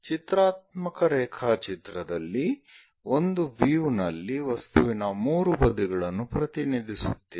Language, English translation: Kannada, In the case of pictorial drawing it represents 3 sides of an object in one view